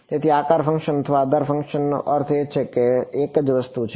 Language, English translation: Gujarati, So, shape or basis functions means the same thing